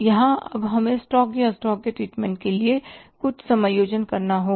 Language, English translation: Hindi, Here now we have to do some adjustments for the stock or treatment of the stock